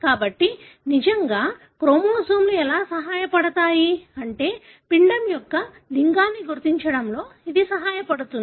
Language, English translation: Telugu, So, how do really chromosomes help, I mean, this help in determining the sex of the embryo